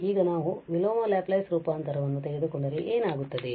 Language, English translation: Kannada, So, now if we take the inverse Laplace transform what will happen